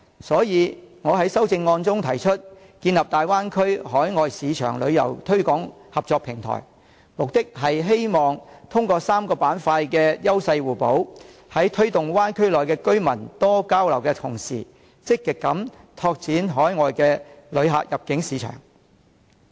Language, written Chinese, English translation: Cantonese, 所以，我在修正案中提出，建立大灣區海外市場旅遊推廣合作平台，目的是希望通過3個板塊的優勢互補，推動灣區內的居民多交流的同時，積極拓展海外旅客的入境市場。, Hence I propose in my amendment that a cooperation platform be set up to promote the Bay Area in overseas markets . The purpose is to encourage more communication among the people in the Bay Area and actively develop the inbound tour market of overseas visitors through synergy of the three places . Multi - destination travel is one option for exploration